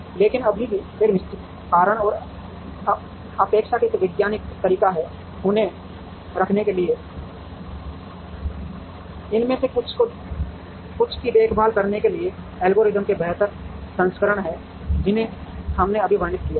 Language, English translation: Hindi, But, there is still a certain reason and a scientific way of relatively placing them, to take care of some of these, there are better versions of the algorithm that, we just now described